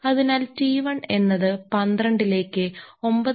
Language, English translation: Malayalam, So, T 1 is equal to 12 into 9